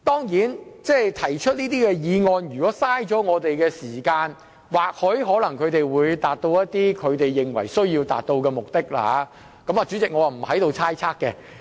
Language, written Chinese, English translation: Cantonese, 如果提出這些議案能浪費我們的時間，或許可達致他們認為需要達致的目的，我對此不作猜測。, If they can waste some of the Council time by moving these motions it may serve to achieve certain objectives as they desired and I will refrain from speculating on their intentions